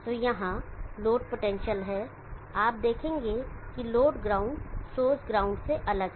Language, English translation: Hindi, So here the load potential you will see that the load ground is different from the source ground